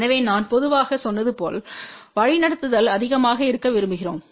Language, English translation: Tamil, So, as I said generally we would like directivity to be high